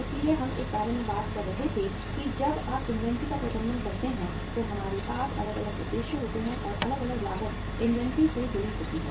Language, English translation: Hindi, So we were talking about that uh say when you manage the inventory we have different motives and the different costs are associated to the inventory